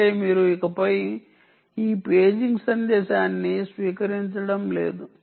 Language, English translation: Telugu, that means you are not receiving this paging message anymore